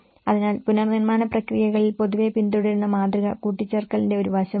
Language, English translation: Malayalam, So, the model which generally which has been followed in the reconstruction processes is one is an aspect of addition